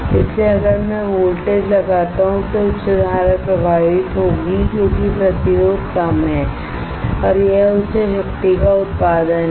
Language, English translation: Hindi, So, if I apply voltage right high current will flow because the resistance is less and this one is generation of high power